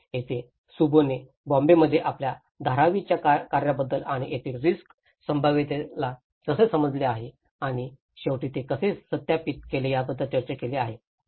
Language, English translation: Marathi, So, this is where Shubho have discussed about his Dharavi work in Bombay and how the communities have understood the risk potential and how they cross verified it at the end